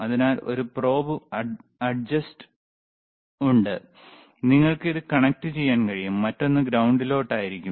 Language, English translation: Malayalam, So, there is a probe adjust, yes you can just connect it, to there another one would be at a ground, and then, all right